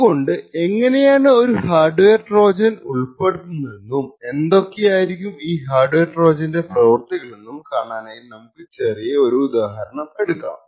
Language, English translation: Malayalam, So, we will just take a small example of how a specific hardware Trojan can be inserted and what the functionality of this hardware Trojan could be